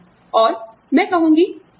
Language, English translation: Hindi, So, you will say, okay